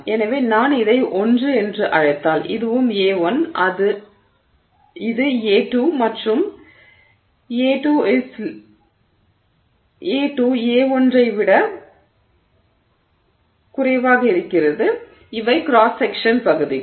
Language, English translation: Tamil, So, so if I call this A 1 and this is also A1 and this is A2 and A2 is less than A1